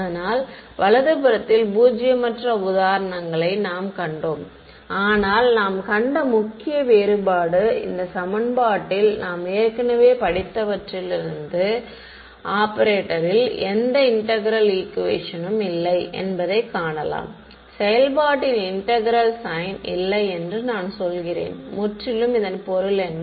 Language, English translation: Tamil, So, we have seen examples of non zero on the right hand side, but the main difference that you can observe in this equation from what we already studied is what there is no integral equation in the operator; I mean there is no integral sign in the operation, it is purely means of what